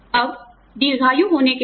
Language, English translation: Hindi, Now, with longevity going up